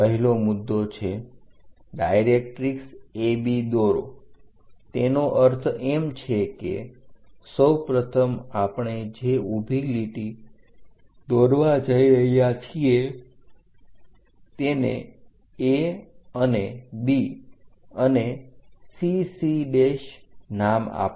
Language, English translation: Gujarati, The first one is draw directrix A B, so that means, first of all, a vertical line we are going to draw name it A and B and also axis CC prime